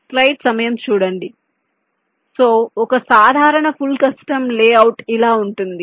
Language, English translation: Telugu, so a typical full custom layout can look like this